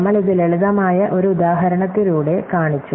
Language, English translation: Malayalam, So, we have show this just by a simple example